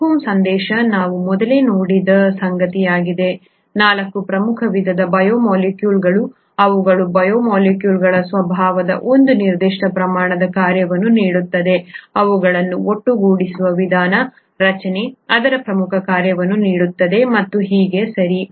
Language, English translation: Kannada, The take home message is something that we saw earlier; the 4 major kinds of biomolecules, their the very nature of the biomolecules gives it a certain amount of function, the way they’re put together, the structure, gives it its major function and so on, okay